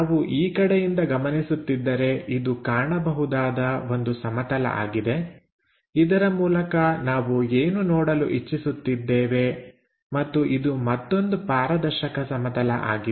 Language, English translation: Kannada, If we are observing from this direction because this is also transparent plane through which what we are trying to look at and this one also another transparent plane